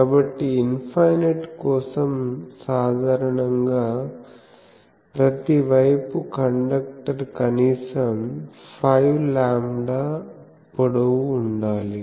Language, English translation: Telugu, So, for infinite generally we say that in each side, the conductor should be at least 5 lambda long